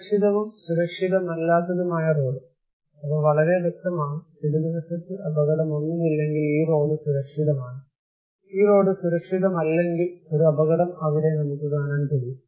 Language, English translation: Malayalam, Safe and unsafe road; according to them is very clear like, if there is no accident left hand side then this road is safe, and if this road is unsafe, because we can see that there is an accident okay